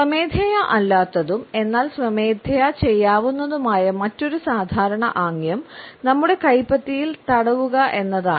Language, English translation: Malayalam, Another common gesture which is often involuntary, but can also be done in a voluntary fashion is rubbing our palms together